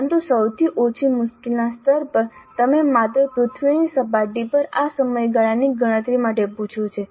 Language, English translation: Gujarati, But in the lowest difficulty level, it just asked for this time period calculation on the surface of the earth